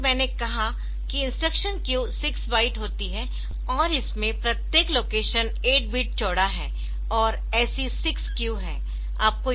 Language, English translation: Hindi, As I said that there is six byte instruction queue and each of this location is 8 bit wide and there are six such queues